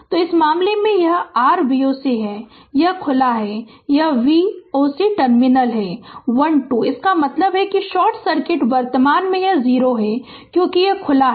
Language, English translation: Hindi, So, in this case, this this is your V o c; this is open this is v o c terminal is 1 2, so that means, short circuit current it is 0 here it because that is open